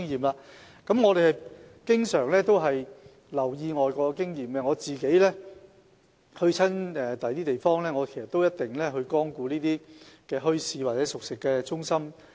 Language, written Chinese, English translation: Cantonese, 當局經常留意外國經驗，我到訪其他地方時，一定會光顧墟市或熟食中心。, The authorities have always paid close attention to overseas experience . When I visit other places I will certainly patronize the bazaars or cooked food centres